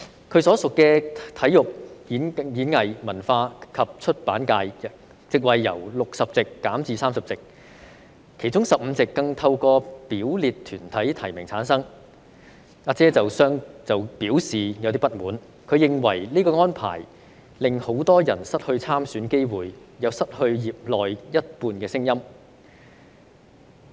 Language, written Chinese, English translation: Cantonese, 她所屬的體育、演藝、文化及出版界，席位由60席減至30席，其中15席更透過表列團體提名產生，"阿姐"對此表示不滿，她認為這項安排令很多人失去參選機會，亦失去業內一半聲音。, Regarding the sports performing arts culture and publication subsector to which she belongs the number of seats has been reduced from 60 to 30 while 15 seats will be returned by nomination by designated bodies . Ah Jie expressed discontent with the arrangement and believed that this arrangement will deprived many people of the opportunity to stand for election and half of the voices of the sector will not be heard